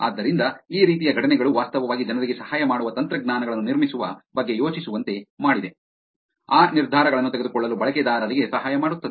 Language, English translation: Kannada, So, these kind of incidents have actually made people to think about building technologies that will help them, help users make that decisions